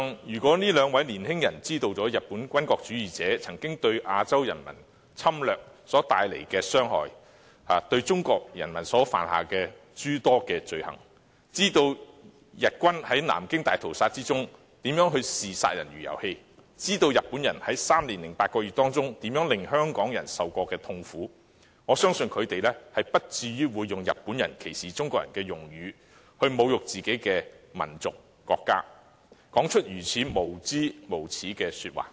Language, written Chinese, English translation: Cantonese, 如果兩位年輕人知道日本軍國主義者當年侵略亞洲人民所帶來的傷害及對中國人民犯下諸多罪行，以及知道日軍在南京大屠殺中如何視殺人如遊戲，日本人在三年零八個月當中如何令香港人受苦，我相信他們不會用日本人歧視中國人的用語來侮辱自己的民族和國家或說出如此無知、無耻的話。, If the two young people knew the sufferings brought by Japanese militarists to the Asian people during their invasion and the atrocities they committed against the Chinese people and if they knew how the Japanese soldiers regarded killing as a game during the Nanjing Massacre and how people in Hong Kong suffered under the Japanese rule during the three years and eight months I think they would not use such a discriminatory term used by the Japanese against Chinese people to insult their own nation and country or they would not make such ignorant and shameless remarks